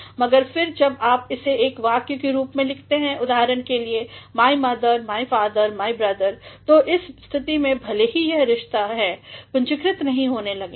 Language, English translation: Hindi, But, when you write it in the form of a sentence, for example, my mother, my father, my brother; so, in that case even though these are relationships, they will not be capitalized